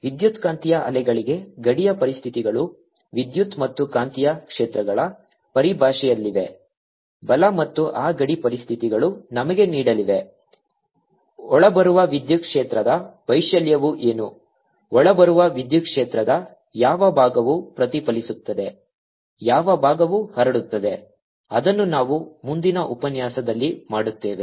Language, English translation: Kannada, for electromagnetic waves the boundary conditions are, in terms of electric and magnetic fields, right, and those boundary conditions are going to give us what amplitude of the incoming electric field is going to, what fraction of the incoming electric field is going to be reflected, what fraction is going to be transmitted